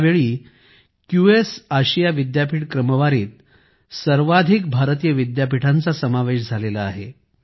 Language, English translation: Marathi, This time the highest number of Indian universities have been included in the QS Asia University Rankings